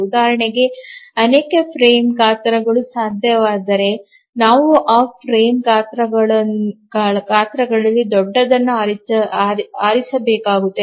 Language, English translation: Kannada, If we find that multiple frame sizes become possible, then we need to choose the largest of those frame sizes